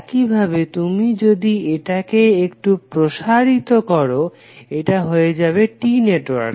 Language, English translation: Bengali, At the same time, you could also, if you stretch it a little bit, it will become a T network